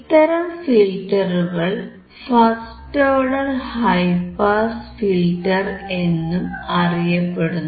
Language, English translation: Malayalam, So, this type of filter is also called first order high pass filter